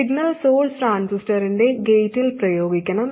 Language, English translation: Malayalam, Then the signal source must be applied to the gate of the transistor